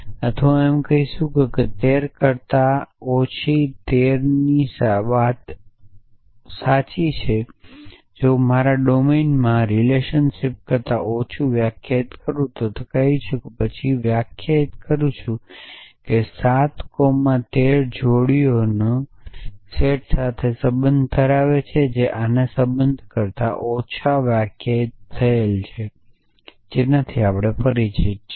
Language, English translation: Gujarati, Or I can say that 7 less than 13 is true if in my domain I define the less than relation let us say I define in to then 7 coma 13 belongs to the set of pairs which define the less than relationship in this we are familiar with